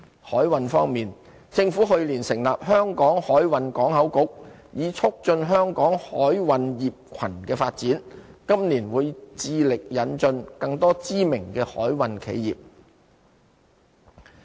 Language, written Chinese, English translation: Cantonese, 海運方面，政府去年成立"香港海運港口局"，以促進香港海運業群的發展，今年會致力引進更多知名的海運企業。, In respect of the maritime sector the Government set up the Hong Kong Maritime and Port Board last year to promote the development of our maritime cluster . This year we will put in effort to attract more renowned maritime enterprises